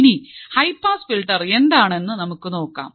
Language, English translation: Malayalam, So, now, let us see what exactly a high pass filter is